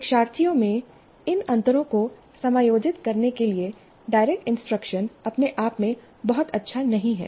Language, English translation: Hindi, Direct instruction by itself is not very good at accommodating these differences in the learners